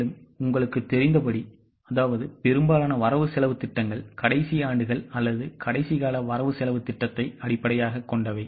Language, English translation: Tamil, Now as you know most of the budgets are based on the last years or last periods budget